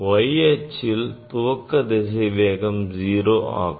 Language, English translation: Tamil, initial velocity along the y axis is 0, V y is 0